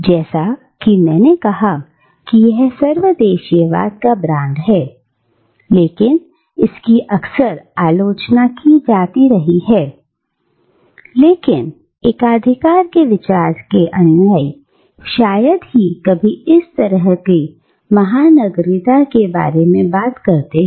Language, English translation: Hindi, Now, as I said that this brand of cosmopolitanism, though it has often been criticised, adherents of the idea of cosmopolitanism seldom speak about this kind of cosmopolitanism